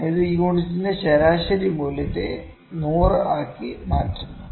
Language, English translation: Malayalam, It is error per unit mean value into 100, this is actually percentage